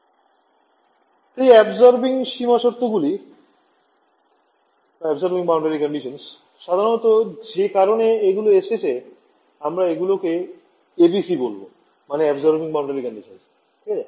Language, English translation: Bengali, So, absorbing boundary conditions in general, so they come in so, we call them ABCs Absorbing Boundary Conditions ok